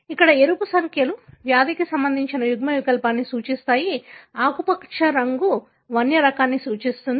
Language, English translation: Telugu, Here the red numbers denote the disease associated allele, the green one represent the wild, wild type